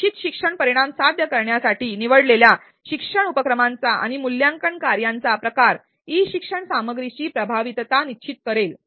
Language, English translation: Marathi, The type of learning activities and assessment tasks chosen to achieve the desired learning outcome will term in the effectiveness of e learning content